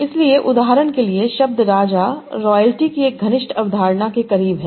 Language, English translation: Hindi, So, this king is very close to the concept of royalty